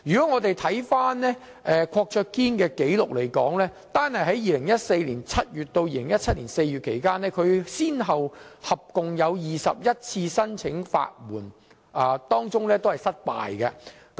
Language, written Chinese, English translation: Cantonese, 我們翻看郭卓堅的紀錄，單在2014年7月至2017年4月期間，他先後提出共21次法援申請，當中全部失敗。, If we look up the records of KWOK Cheuk - kin we will note that during the period between July 2014 and April 2017 he had submitted 21 legal aid applications and all were unsuccessful